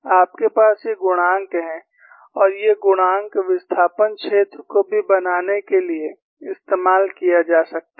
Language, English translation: Hindi, You have these coefficients and these coefficients could be used to plot even the displacement field